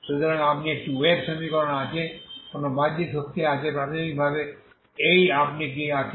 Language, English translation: Bengali, So you have a wave equation there is no external force initially these are the this is what you have